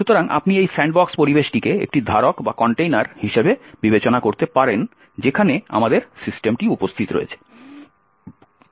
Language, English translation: Bengali, So, you could consider this sandbox environment as a container in which our system is actually present